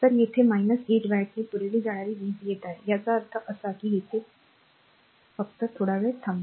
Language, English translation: Marathi, So, it is coming minus 8 watt supplied power; that means, here you come just hold on